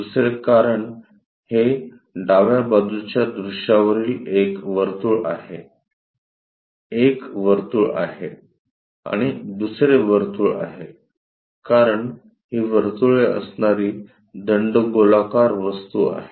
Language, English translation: Marathi, Second, because this is a circle on the left side view, a circle and another circle because this is a cylindrical object having circles